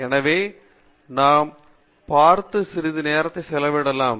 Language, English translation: Tamil, So, let us spend a bit of time in looking at the basics